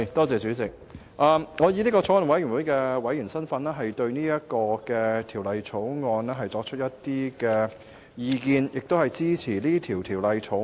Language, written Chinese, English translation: Cantonese, 主席，我以法案委員會委員的身份就《道歉條例草案》提出意見，並支持二讀《條例草案》。, President as a member of the Bills Committee I wish to express my views on the Apology Bill the Bill and my support of the resumption of Second Reading of the Bill